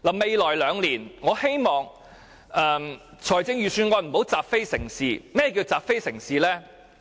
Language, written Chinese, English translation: Cantonese, 未來兩年，我希望預算案不要習非成是。甚麼是習非成是？, In the forthcoming two years I hope we will not see the Budget follow a fallacious convention